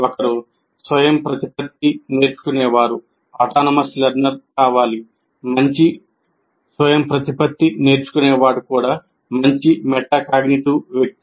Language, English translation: Telugu, A good autonomous learner is also a good metacognitive person